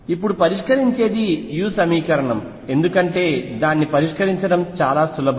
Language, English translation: Telugu, And what will be solving now is the u equation because that is easier to solve